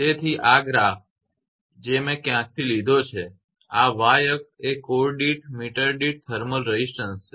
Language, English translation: Gujarati, So, these are this figures I have taken from somewhere right this y axis is thermal resistance per meter per core per meter